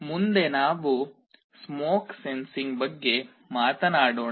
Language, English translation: Kannada, Next let us talk about smoke sensing